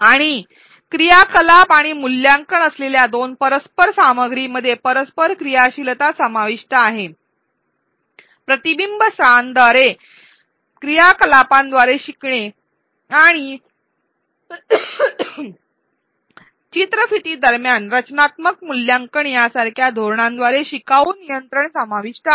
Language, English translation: Marathi, And two intersperse content with activities and assessment include interactivity, include learner control by strategies such as reflection spots, learning by doing activities and formative assessment in between the video